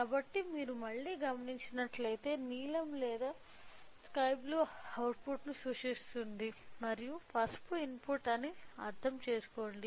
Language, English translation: Telugu, So, in order to understand that let me if you observe again the blue represents or sky blue represents the output and yellow represents are input